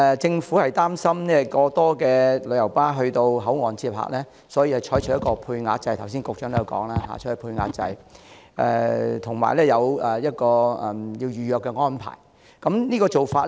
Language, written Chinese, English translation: Cantonese, 政府擔心過多旅遊巴到口岸接客，所以採取配額制，剛才局長也提及配額制，以及預約安排。, The Government adopts a quota system because it is worried that too many coaches will go to the boundary control point to pick up passengers . Earlier on the Secretary also mentioned the quota system and the pre - booking arrangement